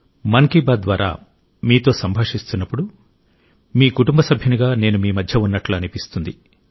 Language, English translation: Telugu, When I express Mann Ki Baat, it feels like I am present amongst you as a member of your family